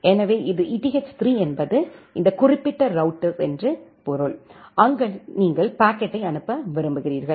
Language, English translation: Tamil, So, it eth3 means this particular router, where you want to forward the packet